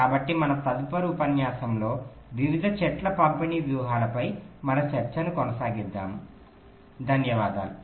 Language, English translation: Telugu, so we continue with our discussion on various tree distribution strategy in our next lecture